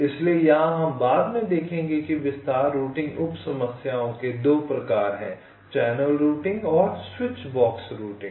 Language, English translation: Hindi, so here we shall see later there are two kinds of detail routing sub problems: channel routing and switch box routing